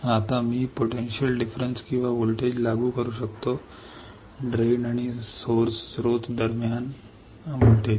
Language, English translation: Marathi, Now, I can apply potential difference or voltage; voltage between drain and source